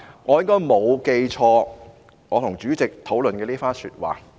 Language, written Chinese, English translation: Cantonese, 我應該沒有記錯我與主席討論的一番說話。, I might not have wrongly recalled the conversation with the President